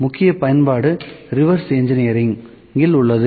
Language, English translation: Tamil, The major application is in reverse engineering